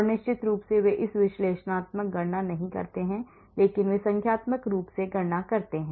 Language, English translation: Hindi, and of course they do not calculate this analytically, but they calculate numerically